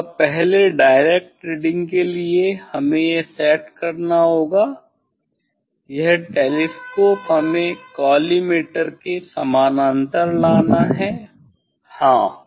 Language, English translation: Hindi, So now, first for direct reading we have to set this we have to bring this we have to bring this telescope parallel to the collimator parallel to the collimator yes